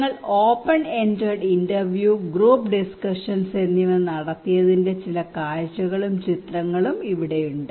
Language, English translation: Malayalam, Here is some of the glimpse and picture you can see that we what we conducted open ended interview, group discussions